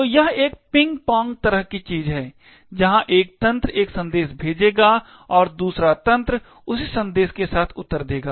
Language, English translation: Hindi, So, this is kind of a ping pong kind of thing, where one system would send a message and the other system would reply with the same message